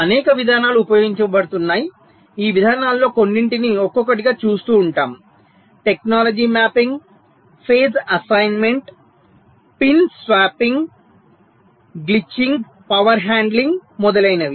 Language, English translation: Telugu, we shall be looking at some of this approaches one by one: technology mapping, phase assignment, pin swapping, glitching, power handling, etcetera